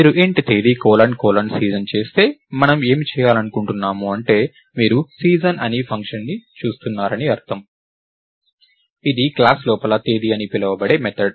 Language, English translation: Telugu, Lets say thats what we want to do if you do int Date colon colon season; it means you are looking at a function called season which is a method inside this class called Date